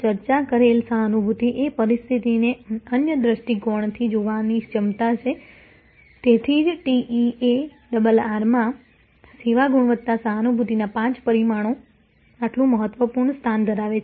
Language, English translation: Gujarati, An empathy as a discussed is the ability to see the situation from the other perspective; that is why in the TEARR, the five dimensions of service quality empathy occupy such an important place